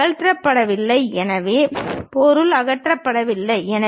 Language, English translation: Tamil, Material is not removed; so, material is not removed